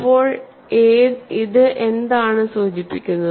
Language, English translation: Malayalam, So, what does it imply